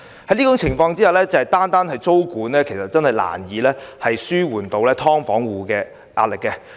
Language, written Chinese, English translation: Cantonese, 在這種情況下，單單實施租金管制確實難以紓緩"劏房戶"的壓力。, In view of this the introduction of rent control alone can hardly alleviate the pressure on tenants of subdivided units